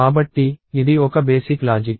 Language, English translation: Telugu, So, this is the basic logic